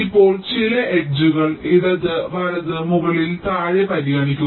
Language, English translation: Malayalam, now we consider some edges: left, right, top, bottom